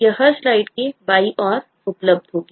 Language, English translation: Hindi, this will be available on the left of every slide